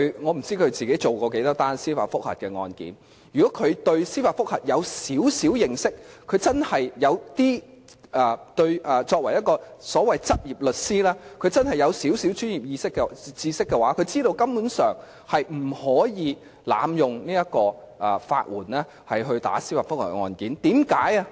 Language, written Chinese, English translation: Cantonese, 我不知道他自己曾處理多少宗司法覆核案件，如果他對司法覆核稍有認識，又或者他作為執業律師，如果他有少許專業知識的話，他便會知道根本不可能濫用法援提出司法覆核的法律程序。, I wonder how many judicial review cases he has personally handled . Had he known a little about judicial review or had he being a practising solicitor possessed a bit of professional knowledge he would have known that it is downright impossible for legal aid to be abused for initiating judicial review proceedings